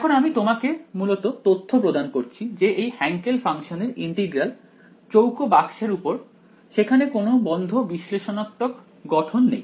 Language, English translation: Bengali, Now it turns out I am just giving you information that the integral of this Hankel function over a square box there is no closed analytical form for it